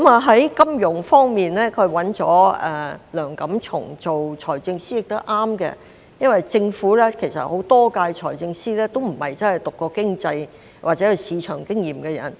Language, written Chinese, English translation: Cantonese, 在金融方面，他委任梁錦松擔任財政司司長，這也是正確的，因為政府很多屆財政司都不是真的修讀過經濟或有市場經驗的人。, In the financial portfolio he appointed Mr Antony LEUNG to be the Financial Secretary and this was also right because many Financial Secretaries of the previous terms did not really study economics or have market experience